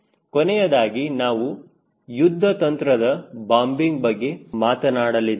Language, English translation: Kannada, and the last one which we will be talking about is strategic bombing